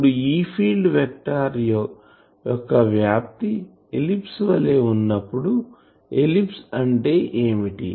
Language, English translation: Telugu, Now, the E field vector when it traces an ellipse what is an ellipse